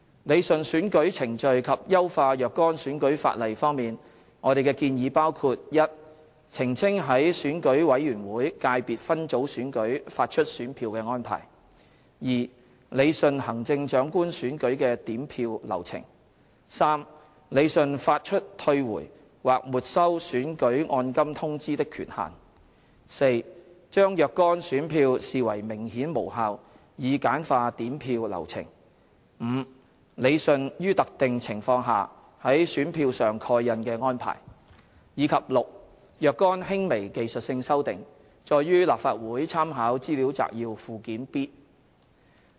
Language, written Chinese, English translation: Cantonese, 理順選舉程序及優化若干選舉法例方面，我們的建議包括： a 澄清在選舉委員會界別分組選舉發出選票的安排； b 理順行政長官選舉的點票流程； c 理順發出退回或沒收選舉按金通知的權限； d 將若干選票視為明顯無效以簡化點票流程； e 理順於特定情況下在選票上蓋印的安排；及 f 若干輕微技術性修訂，載於立法會參考資料摘要附件 B。, Concerning rationalization of the electoral procedures and improvement of certain electoral legislation our proposals include a clarification of the arrangements for issuing ballot papers in ECSS elections; b rationalization of counting process for the Chief Executive elections; c rationalization of the authority for issuing the notification for returning or forfeiting election deposits; d classification of certain ballot papers as clearly invalid to streamline the counting process; e rationalization of the stamping arrangements for ballot papers under specified circumstances; and f some minor technical amendments as set out in Annex B to the Legislative Council Brief